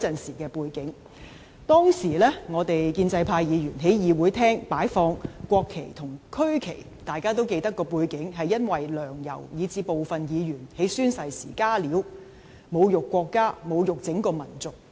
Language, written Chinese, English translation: Cantonese, 大家均記得，當時我們建制派議員在會議廳擺放國旗及區旗的背景，是因為"梁、游"以至部分議員在宣誓時"加料"，侮辱國家及整個民族。, As Honourable Members all remember the context in which we Members of the pro - establishment camp placed the national flags and regional flags in the Chamber was that Sixtus LEUNG and YAU Wai - ching and some Members made additions during oath - taking to insult the country and our entire nation